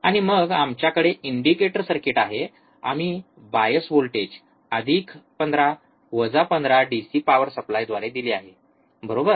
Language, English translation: Marathi, And then we have the indicator circuit, we have given the bias voltage plus 15 minus 15 through the DC power supply, right